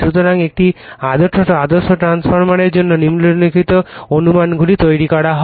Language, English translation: Bengali, So, following assumptions are made for an ideal transformer